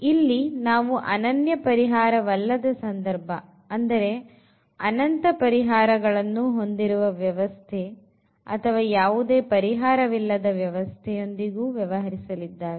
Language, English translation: Kannada, So, here we will be also dealing the cases when we have non unique solutions meaning infinitely many solutions or the system does not have a solution